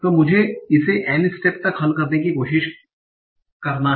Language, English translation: Hindi, So let me try to solve it in any steps